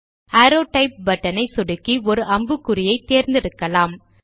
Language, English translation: Tamil, Let us click the Arrow Type button and an arrow head